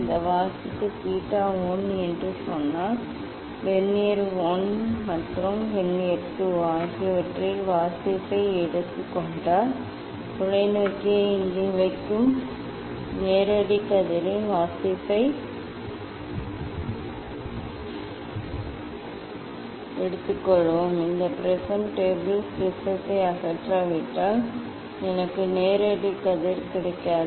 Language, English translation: Tamil, If take the reading in vernier 1 and vernier 2 if this reading is say theta 1 and then we will take that reading of the direct ray putting the telescope here, then I cannot get direct ray if I do not remove this prism table prism